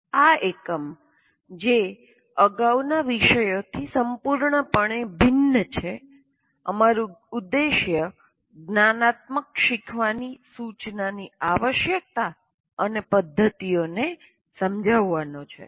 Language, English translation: Gujarati, Now in this unit, which is very completely different from the previous topic, we aim at understanding the need for and methods of instruction for metacognitive learning